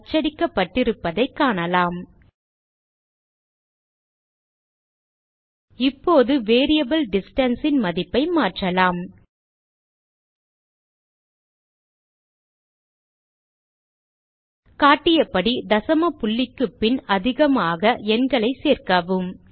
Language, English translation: Tamil, Now let us change the value of the variable distance Add a lot of numbers after the decimal point as shown